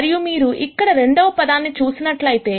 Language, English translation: Telugu, And if you look at the second term here